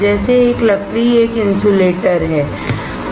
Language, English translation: Hindi, wood is an insulator